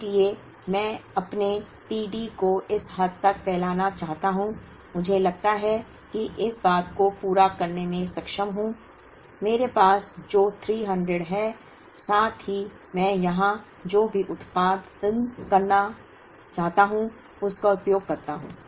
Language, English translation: Hindi, So, I want to stretch my t D to such an extent that, I am able to meet that demand up to this point, using the 300 that I have, plus what I produce here